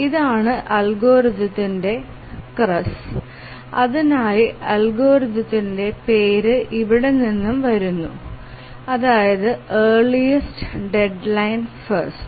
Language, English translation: Malayalam, So, this is the crux of the algorithm and the name of the algorithm comes from here earliest deadline first